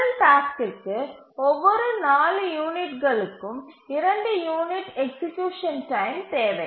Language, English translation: Tamil, The first task needs two units of execution time every four units